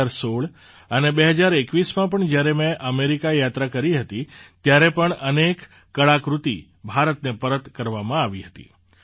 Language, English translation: Gujarati, Even when I visited America in 2016 and 2021, many artefacts were returned to India